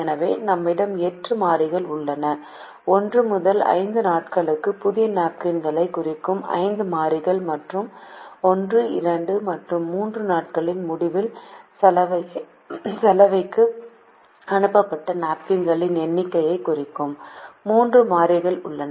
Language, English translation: Tamil, so we have eight variables: five variables representing the new napkins for days one to five and three variables representing the number of napkins sent to the laundry at the end of days one, two and three